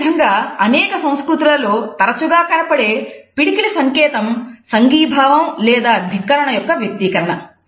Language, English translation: Telugu, Similarly, the fist sign which has been often used across cultures is an expression of solidarity or defiance